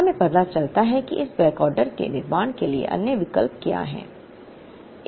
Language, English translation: Hindi, We realize that, what is the other alternative for not building this backorder